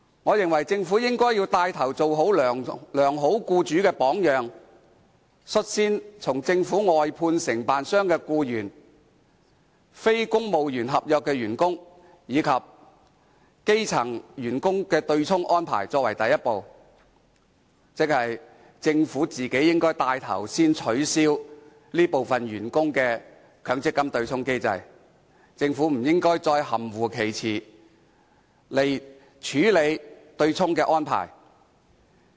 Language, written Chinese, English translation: Cantonese, 我認為政府應帶頭做好良好僱主的榜樣，率先以政府外判承辦商的僱員、非公務員合約員工及基層員工的對沖安排作為第一步，即是由政府帶頭取消這些員工的強積金對沖機制，而不應再在處理對沖安排一事上含糊其詞。, I think the Government should set an example as a good employer and as a first step take the lead to abolish the offsetting arrangement for employees of government outsourcing contractors non - civil service contract staff and grass - roots employees . In other words the Government should take the initiative to abolish the MPF offsetting mechanism with regard to those staff and should not be perfunctory in handling the offsetting arrangement